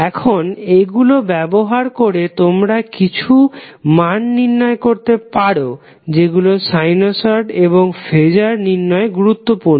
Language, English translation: Bengali, Now using these you can find out few values which are imported in our sinusoid as well as phaser calculation